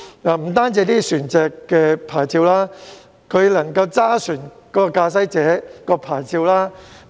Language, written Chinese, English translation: Cantonese, 不單船隻的牌照互通互認，駕駛者的牌照也可以。, Not only vessel licences but also helmsman licences can be mutually accessed and mutually recognized